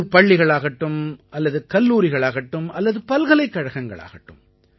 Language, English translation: Tamil, Whether it is at the level of school, college, or university